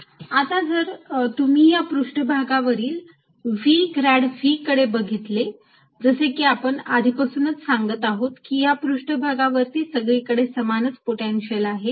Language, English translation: Marathi, now if you look at v grad v over the surface, we are already saying that the surface has the same potential